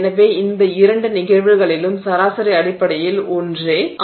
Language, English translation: Tamil, So, the mean is the same in both of these cases the mean is essentially the same